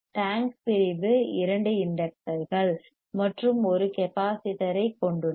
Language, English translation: Tamil, The tank section consistts of two inductors; you see two inductors and one capacitor